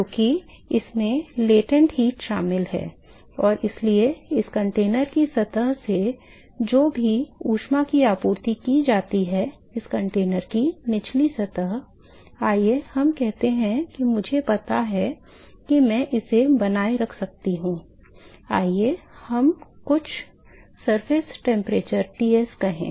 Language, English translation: Hindi, Because there is latent heat which is involved here and so, whatever heat that is supplied from the surface of this container, the bottom surface of this container, let us say that I know I can maintain this let us say at some surface temperature Ts